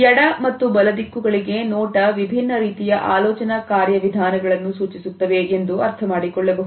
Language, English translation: Kannada, You would find that the left and right directions are indicative of different types of thinking procedures